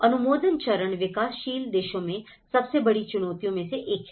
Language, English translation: Hindi, The approval stage is one of the biggest challenges in developing countries